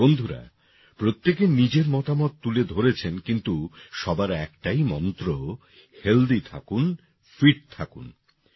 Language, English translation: Bengali, Friends, everyone has expressed one's own views but everyone has the same mantra 'Stay Healthy, Stay Fit'